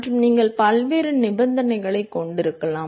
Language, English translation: Tamil, And you can have various condition